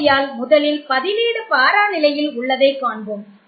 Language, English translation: Tamil, So we will first look at the substituent at para position